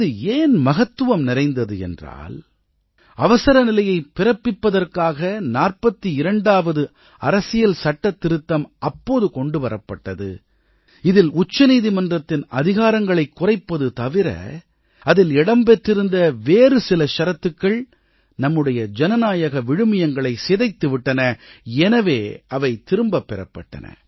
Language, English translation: Tamil, This was important because the 42nd amendment which was brought during the emergency, curtailed the powers of the Supreme Court and implemented provisions which stood to violate our democratic values, was struck down